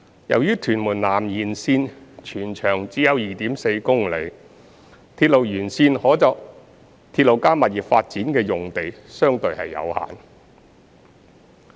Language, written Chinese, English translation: Cantonese, 由於屯門南延綫全長只有約 2.4 公里，鐵路沿線可作"鐵路加物業"發展的用地相對有限。, As the TMS Extension is only about 2.4 km in length the availability of RP sites along the railway alignment is relatively limited